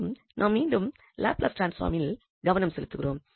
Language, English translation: Tamil, And now we will focus on Laplace transform again